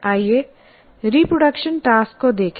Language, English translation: Hindi, So let us look at reproduction tasks